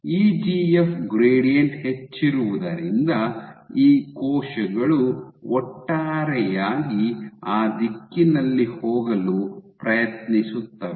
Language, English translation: Kannada, Since EGF gradient is high these cells will overall try to go in that direction